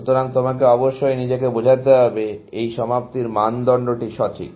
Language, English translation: Bengali, So, you must convince yourself, that this termination criterion is sound